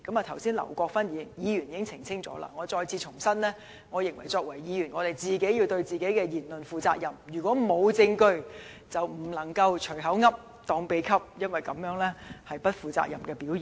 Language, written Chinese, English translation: Cantonese, 就此，劉國勳議員剛才已作出澄清，而我亦想再次重申，我認為我們作為議員，必須對自己的言論負責；如果沒有證據，便不應該"隨口噏，當秘笈"，因為這是不負責任的表現。, In this connection Mr LAU Kwok - fan has already clarified . I also wish to reiterate that as Members of the Legislative Council we must be responsible for what we say . If not supported by evidence we should not make reckless remarks for it is irresponsible to do so